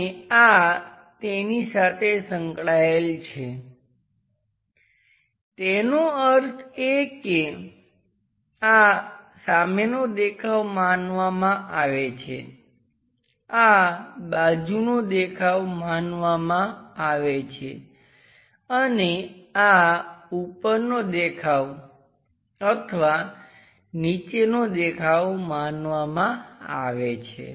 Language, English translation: Gujarati, And this one accompanied by, that means this is supposed to be the front view, this supposed to be the side view and this supposed to be the top view or bottom view